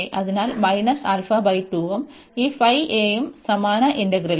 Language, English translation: Malayalam, So, minus alpha by 2 and this phi a and this same integral